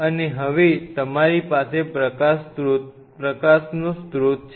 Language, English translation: Gujarati, Now, and you have a source of light